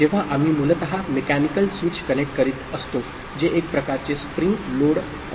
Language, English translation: Marathi, So, when we are basically connecting a mechanical switch which is kind of you know having a spring load kind of thing